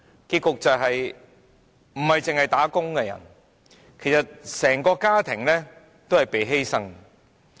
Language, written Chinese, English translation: Cantonese, 結果，不單是"打工"的人，其實整個家庭也被犧牲。, As a result not only do wage earners have to pay a price; their families as a whole also have to pay a price